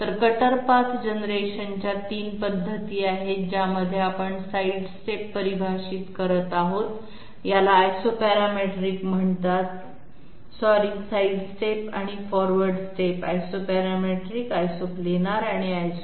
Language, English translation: Marathi, So there are 3 methods of cutter path generation if we consider the way in which we are defining the side step these are called Isoparametric sorry side step and forward step Isoparametric, Isoplanar and Isoscallop